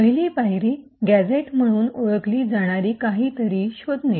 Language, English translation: Marathi, The first step is finding something known as gadgets